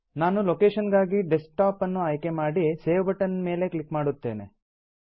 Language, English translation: Kannada, I will choose the location as Desktop and click on the Save button